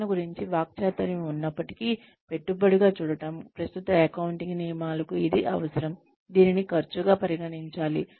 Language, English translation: Telugu, Despite the rhetoric about training, being viewed as an investment, current accounting rules require that, it be treated as an expense